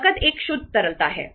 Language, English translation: Hindi, Cash is a pure liquidity